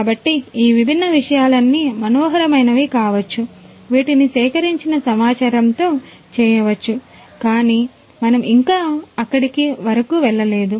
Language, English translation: Telugu, So, all of these different things can be fascinating things can be done with the data that are collected, but this is we are still not there yet